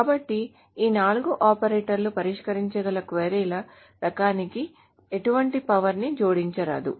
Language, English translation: Telugu, So these four operators do not add any power to the type of queries that can be solved